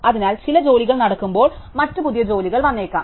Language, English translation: Malayalam, So, while some jobs are running, other new jobs may arrive